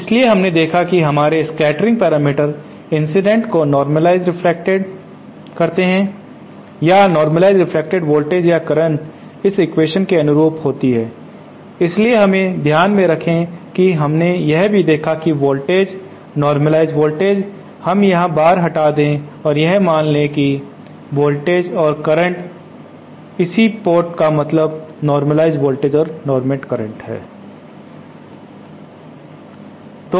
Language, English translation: Hindi, So we saw that our scattering parameters relate the incident to the reflected normalized reflected or normalized reflected voltages or currents suit this equation so with in mind let us for a moment and we also saw that the voltages, the normalized voltage, let us remove the bar here and just assume that V and I hence port means the normalized voltages and current